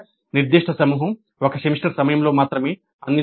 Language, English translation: Telugu, One particular group is offered during one semester only